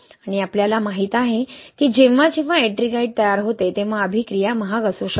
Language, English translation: Marathi, And we know that whenever we have formation of Ettringite, the reaction can be expensive